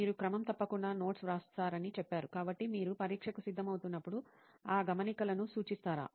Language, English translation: Telugu, You said you write notes regularly, so do you refer those notes while you prepare for the exam